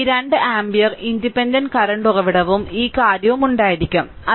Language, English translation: Malayalam, We have 2 your this 2 ampere independent current source and this thing